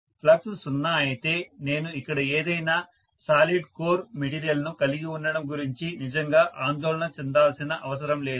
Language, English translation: Telugu, If the flux is 0, I don’t have to really worry about any having any solid core material here at all, because I really do not need anything right